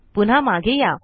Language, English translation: Marathi, Come back here